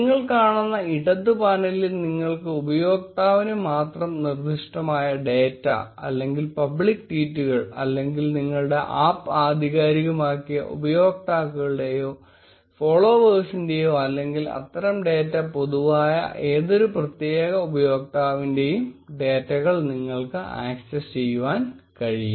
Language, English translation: Malayalam, You can notice on the left panel that you can access data specific to a user, or public tweets or you can even get the follower and following information of users who have authenticated your app or of any particular user whose such data is public